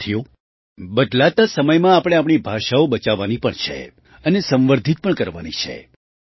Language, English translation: Gujarati, Friends, in the changing times we have to save our languages and also promote them